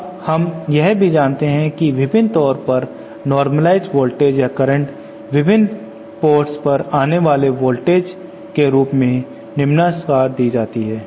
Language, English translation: Hindi, Now we also know that the normalized voltages or currents at the various ports are given in terms of the incident voltages as follows